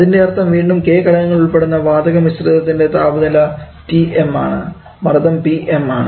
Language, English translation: Malayalam, That means again from that gas mixture comprising of K number of components let us say the mixture temperature is Tm and the pressure is Pm